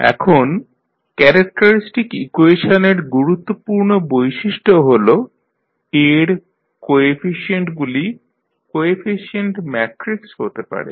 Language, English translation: Bengali, Now, the important property of characteristic equation is that if the coefficients of A that is the coefficient matrix